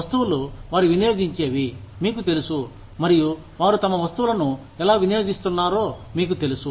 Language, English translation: Telugu, The goods, that they consume, that can, you know, and, how they consume their goods